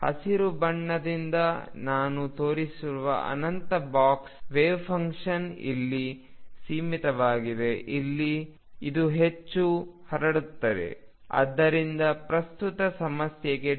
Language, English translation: Kannada, Infinite box wave function I show by green most confined here goes confined here, here this is more spread out if this is more spread out; that means, delta x for current problem